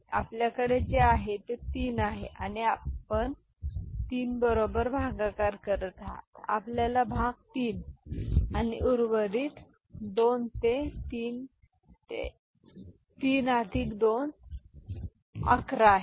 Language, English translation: Marathi, So, what you have got is 3 and it was you are dividing with 3 you got quotient 3 and remainder 2 it is fine 3 into 3 plus 2 that is 11 is it ok